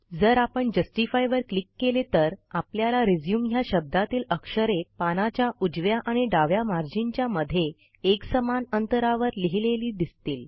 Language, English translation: Marathi, If we click on Justify, you will see that the word RESUME is now aligned such that the text is uniformly placed between the right and left margins of the page